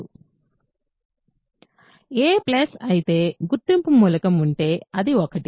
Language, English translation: Telugu, So, a plus is of course, identity elements is there it is 1